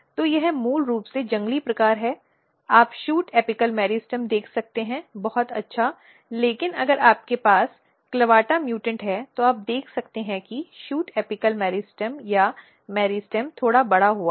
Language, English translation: Hindi, So, this is basically wild type you can see shoot apical meristem very nice, but if you have clavata mutant you can see that the shoot apical meristem or the meristem is slightly enlarged